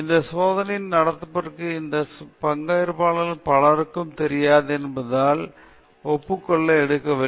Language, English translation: Tamil, And no consent was taken, because many of these participants did not know for what this study was conducted